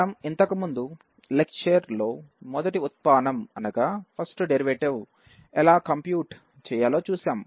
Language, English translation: Telugu, So in the previous lecture we have seen how to compute the first derivative